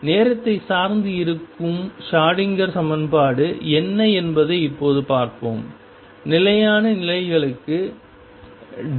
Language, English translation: Tamil, What do you mean by time dependent Schroedinger equation recall that so far, we have dealt with stationary state Schroedinger equation